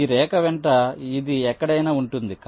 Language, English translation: Telugu, so this, along this line, it can be anywhere